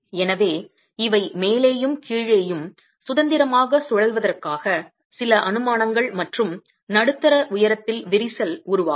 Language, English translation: Tamil, So, these are some assumptions that the top and the bottom are free to rotate and you get a mid height crack also forming